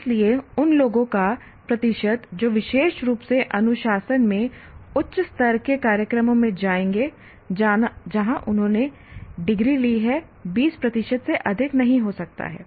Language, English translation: Hindi, So the percentage of people who would go specifically to higher level programs in the discipline where they took the degree may not be more than 20 percent